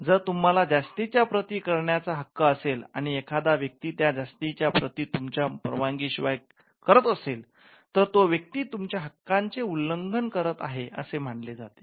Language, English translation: Marathi, So, if you have the right to make further copies, any other person who does this, making further copies of your book without your approval or your consent is said to be infringing your right that person is violating a right that you have